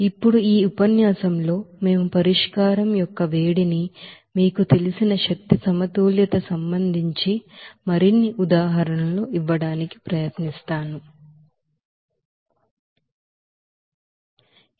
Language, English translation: Telugu, Now in this lecture we will try to give more examples regarding that energy balance on you know heat of solution